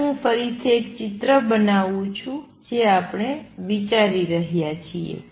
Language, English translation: Gujarati, Let me again make a picture what we are considering